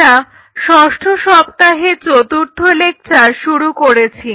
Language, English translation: Bengali, So, we are into the week 6 and we are starting our fourth lecture